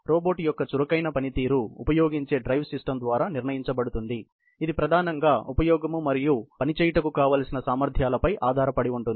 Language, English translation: Telugu, The dynamic performance of the robot is determined by the drive system adopted, which depends mainly on the type of application and the power requirements